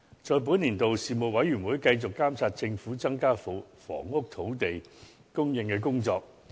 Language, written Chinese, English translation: Cantonese, 在本年度內，事務委員會繼續監察政府增加房屋土地供應的工作。, During the session the Panel continued to monitor the Government in increasing housing land supply